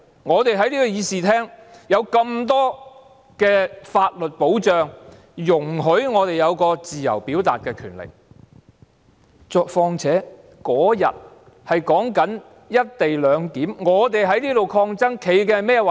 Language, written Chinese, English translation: Cantonese, 我們在這個議事廳內，有這麼多法律保障，讓我們有自由表達意見的權利；況且那天我們在辯論"一地兩檢"事宜，我們在這裏抗爭，所持的是甚麼立場？, In this Chamber we are entitled to so much protection in law which give us the right to express our views freely . What is more that day we were debating the co - location arrangement . What stance did we hold in our fight here?